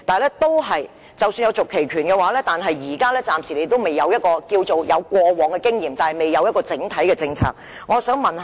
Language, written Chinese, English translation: Cantonese, 然而，即使擁有續期權，暫時亦只有過往經驗而未有整體政策。, However even if we have the right of renewal so far we only have some past experience but not any overall policy